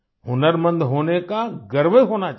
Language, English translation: Hindi, We should be proud to be skilled